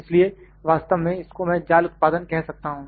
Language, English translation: Hindi, So, this is actually I would just call it mesh generation